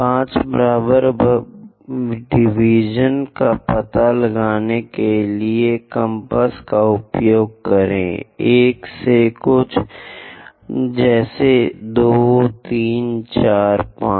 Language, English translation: Hindi, Use your compass to locate 5 equal divisions, something like 1, from there 2, 3, 4, 5